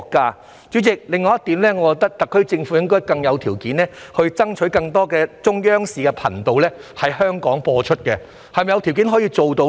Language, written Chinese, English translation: Cantonese, 代理主席，另外一點，我認為特區政府應該有條件爭取在香港播放更多中央頻道，是否有條件做到呢？, Deputy President another point is that I think the SAR Government should have the conditions to fight for more channels of the China Central Television to be broadcast in Hong Kong . Are there such conditions to do so?